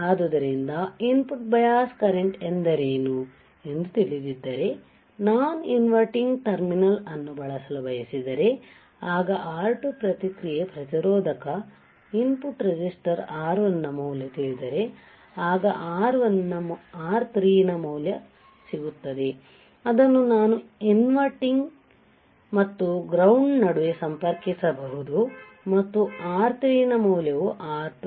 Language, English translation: Kannada, So, if I know what is input bias current and the end I know if that if I want to use an amplifier that is an inverting amplifier, then I know that there is a value of R2 feedback resistor input resistor R1, then I will have value of R3 which we can which I can connect between non inverting terminal and ground and that value of R3 would be equal to R1 parallel to R2